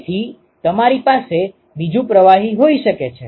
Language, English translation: Gujarati, So, you can have another fluid